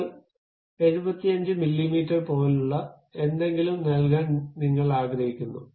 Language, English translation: Malayalam, Now, you would like to have give something like 75 millimeters